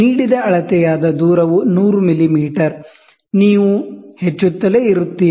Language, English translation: Kannada, So, 100 millimeter, so the distance is 100 millimeter, you keep increasing